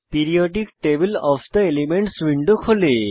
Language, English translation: Bengali, Periodic table of the elements window opens